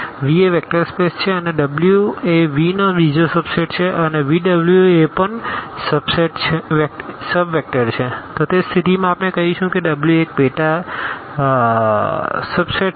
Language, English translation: Gujarati, So, V is a vector space and W is another subset of V and if V W is also a sub also a vector space in that case we call that W is a subspace